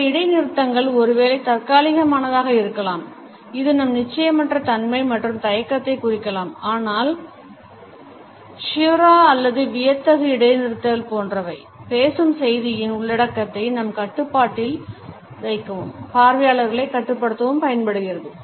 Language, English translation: Tamil, Some pauses maybe temporary which may indicate our uncertainty and hesitation, whereas some other, maybe like caesura or the dramatic pauses, which are planned and show our control of the content and our desire to control the audience reaction